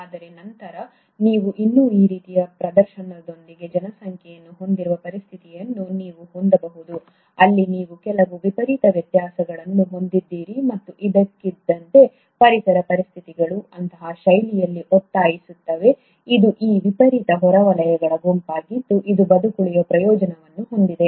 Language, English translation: Kannada, But then, you can have a situation where you still have a population with these kind of display where you have some extreme variations and suddenly, the environmental conditions force in such a fashion that it is this set of extreme outliers which have a survival advantage